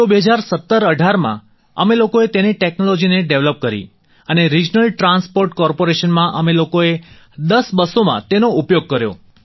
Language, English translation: Gujarati, So, in 201718 we developed its technology and used it in 10 buses of the Regional Transport Corporation